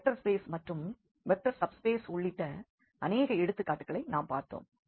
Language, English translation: Tamil, So, we will be talking about that soon that what are these vector subspaces